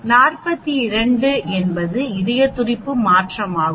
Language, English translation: Tamil, 42 is a change in the heart rate